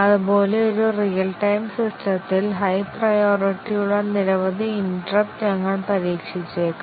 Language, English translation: Malayalam, Similarly, a real time system, we might test the arrival of several high priority interrupts